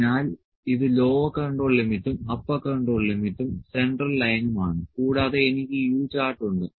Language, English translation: Malayalam, So, it is lower control limit, upper control limit, central line and I have this U chart